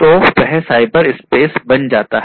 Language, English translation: Hindi, So, that becomes the cyberspace